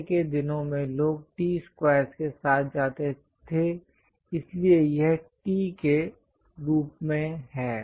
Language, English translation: Hindi, Earlier days, people used to go with T squares, so it is in the form of T